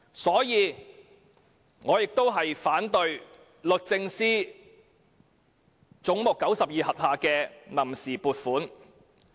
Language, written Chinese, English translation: Cantonese, 因此，我反對總目92下的臨時撥款。, Hence I oppose the funds on account under head 92